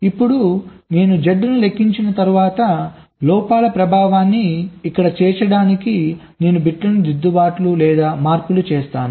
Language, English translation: Telugu, now, after i compute z, i make corrections or modifications to the bits to incorporate the effect of the faults here